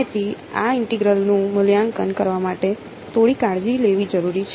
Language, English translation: Gujarati, So, evaluating these integrals requires some little bit of care ok